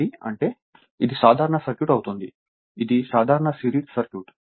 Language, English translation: Telugu, So, that means, it will be a simple circuit right; simple series circuit